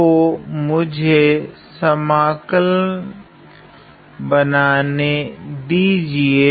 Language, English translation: Hindi, So, let me, draw the integral